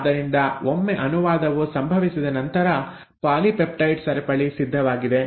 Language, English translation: Kannada, So once the translation has happened, polypeptide chain is ready